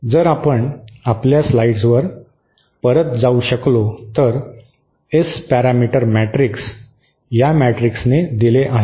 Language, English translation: Marathi, If we can go back to our slides please, the S parameter matrix is given by this matrix